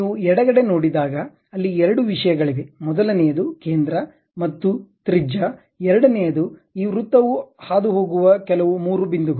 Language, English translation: Kannada, If you are seeing on the left hand side, there are two things like first one is center and radius, second one is some three points around which this circle is passing